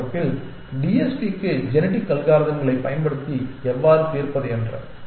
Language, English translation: Tamil, And in the next class, we will come back to TSP, how to solve TSP’s using genetic algorithms